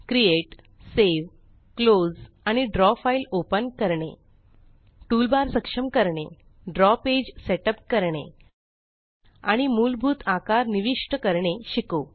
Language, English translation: Marathi, We will also learn how to: Create, save, close and open a Draw file, Enable toolbars, Set up the Draw page, And insert basic shapes